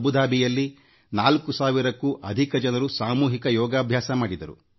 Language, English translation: Kannada, In Abu Dhabi in UAE, more than 4000 persons participated in mass yoga